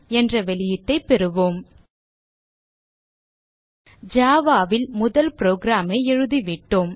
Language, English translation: Tamil, You will get the output My first java program